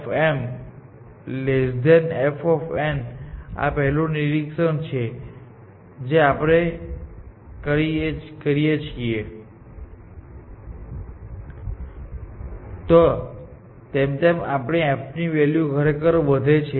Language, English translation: Gujarati, As we move from node m to node n, our f value actually increases, essentially